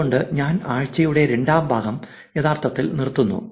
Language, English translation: Malayalam, With that, I will actually stop the second part of the week 6